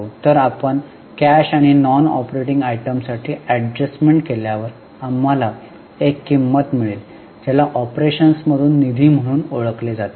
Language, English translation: Marathi, So, after making the adjustments for non cash and non operating items, we get a figure which is known as funds from operations